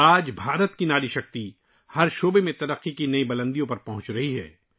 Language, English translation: Urdu, Today the woman power of India is touching new heights of progress in every field